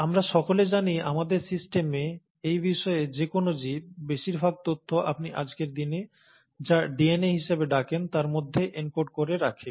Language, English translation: Bengali, And we all know, and that in our system, any organism for that matter, most of the information is encoded into what you call as the DNA, as of today